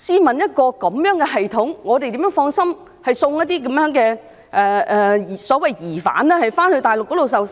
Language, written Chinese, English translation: Cantonese, 面對這樣的系統，我們怎能放心將一些所謂疑犯移送大陸受審。, In the face of such a system we can hardly rest assured in extraditing the so - called suspects to the Mainland for trial